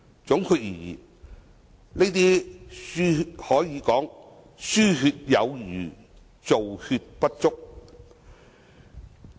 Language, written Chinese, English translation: Cantonese, 總括而言，這些可說是"輸血有餘，造血不足"。, In gist those measures can be described as too much blood transfusion; too little blood production